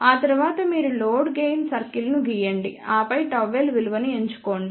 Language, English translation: Telugu, After that only you draw the load gain circle and then choose the value of gamma l